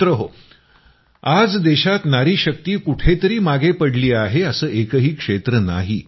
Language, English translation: Marathi, Friends, today there is no region in the country where the woman power has lagged behind